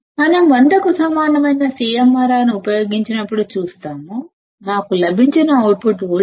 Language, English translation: Telugu, We will see that when we use CMRR equal to 100; the output voltage that we got was 313